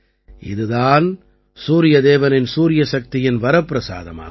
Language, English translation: Tamil, This is the very boon of Sun God's solar energy